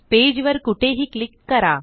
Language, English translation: Marathi, Click anywhere on the page